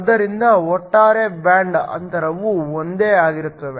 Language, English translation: Kannada, So, the overall band gap is the same